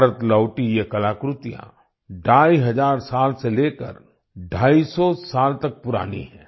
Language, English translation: Hindi, These artefacts returned to India are 2500 to 250 years old